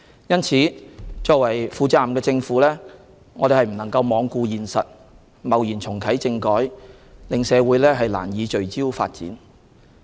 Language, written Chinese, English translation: Cantonese, 因此，作為負責任的政府，我們不能罔顧現實，貿然重啟政改，令社會難以聚焦發展。, Therefore as a responsible Government we must not be unrealistic and arbitrarily reactivate constitutional reform such that the community cannot focus on development